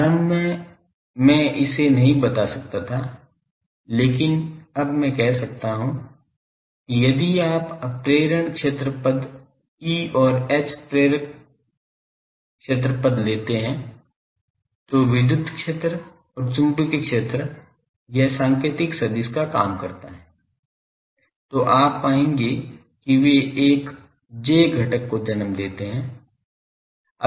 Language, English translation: Hindi, Initially I could not tell it, but now I can say that if you take inductive field terms E and H inductive field terms, electric field and magnetic fields do this pointing vector business, then you will find that they give rise to a j component